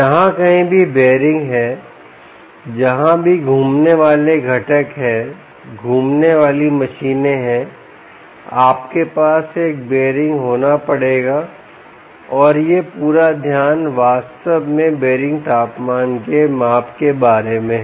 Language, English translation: Hindi, wherever there are bearings right, where ever there are rotating components, rotating machines, ah, um, you will have, you will have to have a bearing, and this is the whole focus, really, about measurement of ah bearing temperature